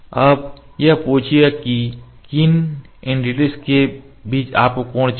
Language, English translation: Hindi, Now, it will ask between which entities you need the angle ok